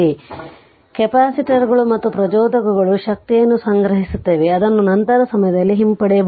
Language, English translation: Kannada, So, capacitors and inductors store energy which can be retrieved at a later time